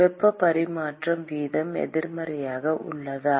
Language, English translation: Tamil, Is the heat transfer rate negative